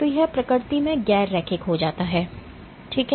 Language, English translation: Hindi, So, it becomes non linear in nature ok